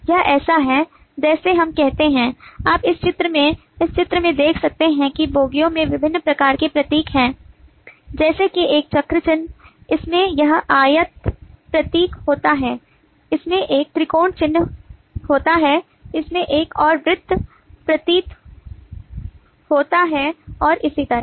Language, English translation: Hindi, it is like, let us say, you can see in this diagram, in this picture, that the bogies have different kinds of symbol, like this as a circle symbol, this has a rectangle symbol, this has a triangle symbol, this has another circle symbol, and so on